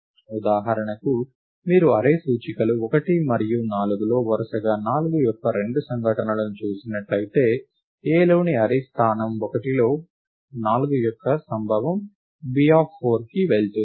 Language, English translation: Telugu, For example, if you see the two occurrences of 4 in the array indices 1 and 4 respectively, observe that, the occurrence of 4 in the array location 1 in A goes to B of 4